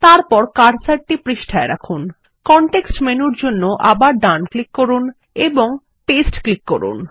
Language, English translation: Bengali, Then, place the cursor on the page, right click for the context menu again and click Paste